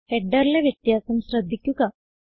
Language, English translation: Malayalam, Notice that the header is different